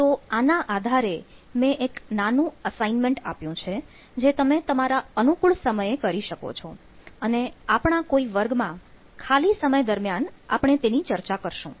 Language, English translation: Gujarati, so based on these, i have i kept a small assignment for you to work at your at your own time, and we will discuss this assignment in one of these classes during some free time